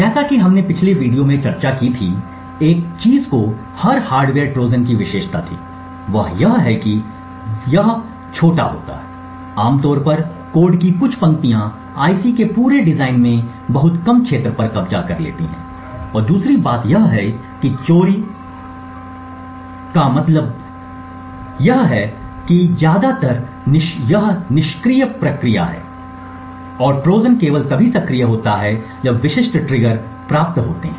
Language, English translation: Hindi, As we discussed in the previous video, one thing that was quite characteristic of every hardware Trojan is that it is small, typically a few lines of code occupying a very less area in the entire design of the IC and secondly it is stealthy, stealthy means that it is mostly passive during the normal working of the device or the IC as well as during most of the testing process the Trojan is a passive and inactive and the Trojan only gets activated when specific triggers are obtained